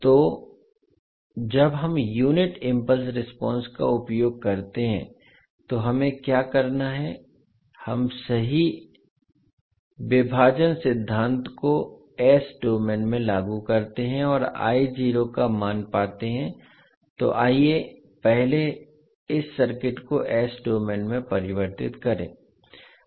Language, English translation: Hindi, So when we use the unit impulse response what we have to do we apply the correct division principle in s domain and find the value of I naught so let us first convert this circuit into s domain